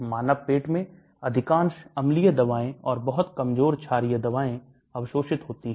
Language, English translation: Hindi, In human stomach, most acidic drugs and the very weakly basic drugs are absorbed